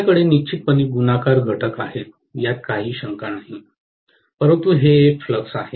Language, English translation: Marathi, I do have definitely a multiplication factor, no doubt, but it is a measure of flux